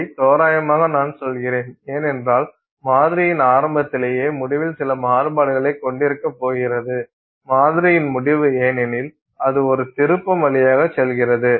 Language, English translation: Tamil, I say roughly because you are going to have some, you know, some variation in the end, right at the very beginning of the sample and the end of the sample because it goes through a turn